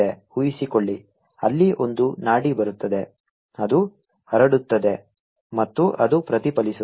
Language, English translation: Kannada, suppose there's a pulse coming in, it gets transmitted and it gets reflected